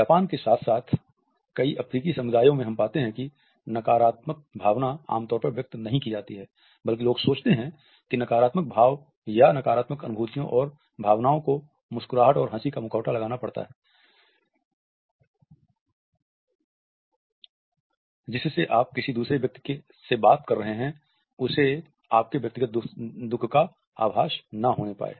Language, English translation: Hindi, In Japan as well as in many African communities we find that the negative emotion is normally not expressed, rather people think that the negative expressions or negative feelings and emotions have to be masked with his smiles and laughters, so that the other person you are talking to does not get in inkling of the personal grief